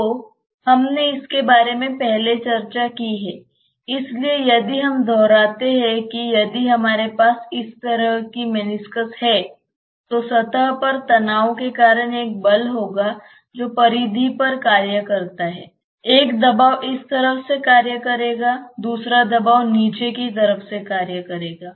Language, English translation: Hindi, We have discussed about this earlier, so just if we reiterate that if we have a meniscus like this loosely speaking there will be a force because of surface tension which acting over the periphery there is a pressure acting from this side, there is a pressure acting from the other side the bottom side